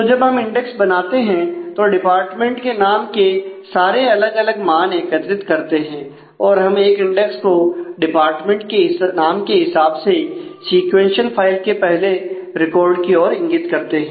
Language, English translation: Hindi, So, when we make the index we made the index collect all the distinct values of the department names and for every department name we put a pointer we put the index marking the first record in the sequential file with that department name